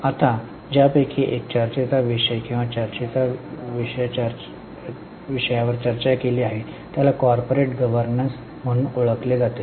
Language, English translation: Marathi, Now, one of the hot topics or hot areas which are discussed is known as corporate governance